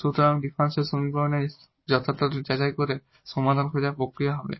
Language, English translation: Bengali, So, that is the process for finding the solution checking the exactness of the differential equation